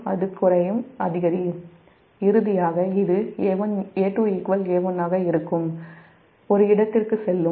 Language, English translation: Tamil, finally, it will go to a point where a two will be is equal to a one